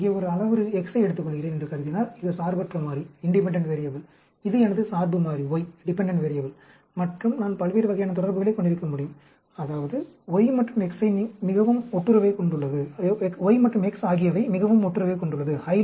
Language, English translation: Tamil, Suppose, I take a parameter X here, that is the independent variable, and this is my dependent variable Y, I can have different types of relationships; that means Y and X are highly correlated